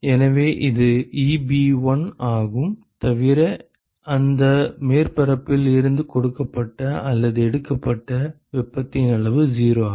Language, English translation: Tamil, So, this is Eb1 except that the q to the amount of heat that is given or taken out from that surface is 0